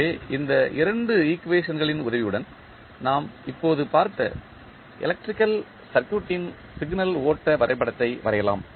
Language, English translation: Tamil, So, in this way with the help of these two equations, we can draw the signal flow graph of the electrical circuit which we just saw